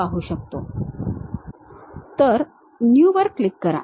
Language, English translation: Marathi, There click New